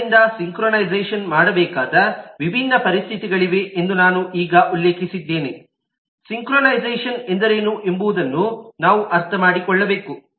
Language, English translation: Kannada, so given that there are different situation that need to be synchronized i just mentioned that we need to understand what is synchronization all about and what could be issues